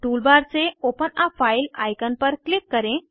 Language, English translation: Hindi, Click on Open a file icon from the toolbar